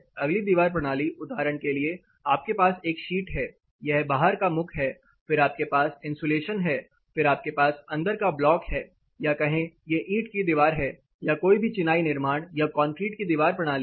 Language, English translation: Hindi, The next wall system for examples you have a sheet this is the outside facing for example, then you have the insulation, then you have a inside block work or say brick wall, any masonry construction or concrete anything if you have a wall system